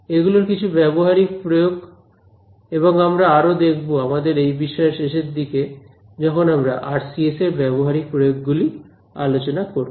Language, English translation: Bengali, These are just some of the applications and we will look at more towards the end of the course when you look at applications of RCS